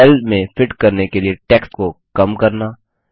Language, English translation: Hindi, Shrinking text to fit the cell